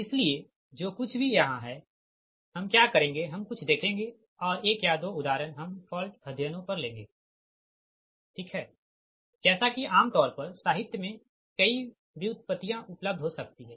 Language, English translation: Hindi, so whatever it is here what we will do, we will see something and one or couple of examples we will take on fault studies, right, and as it is your in general, many, many, many derivations may be available in the literature